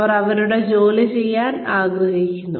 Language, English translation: Malayalam, They want to do their work